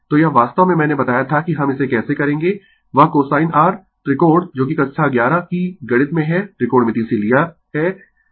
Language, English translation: Hindi, So, this is actually, your this is actually I told you how we will do it that cosine your , triangle that you have on class 11 mathematics has take trigonometry right